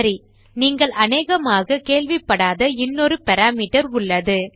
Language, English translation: Tamil, Okay, we have another parameter which you may not have heard of before